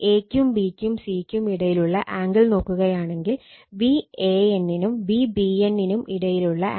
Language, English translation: Malayalam, Now, if you see the if you see the angle between a, b, and c, so angle between V a n and V b n 110 angle 120 degree, this angle is 120 degree right